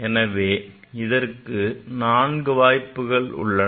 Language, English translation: Tamil, So, there are four possibilities ok